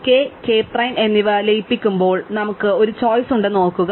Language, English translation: Malayalam, Remember we have a choice when we merge k and k prime